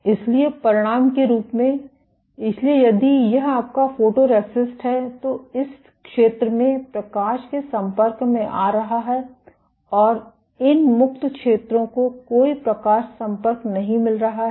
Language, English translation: Hindi, So, as a consequence, so, if this is your photoresist, in this zone is getting an exposed to the light and these free zones are not getting any light exposure